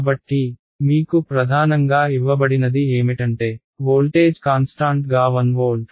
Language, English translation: Telugu, So, what is given to me primarily is the fact that voltage is constant 1 volt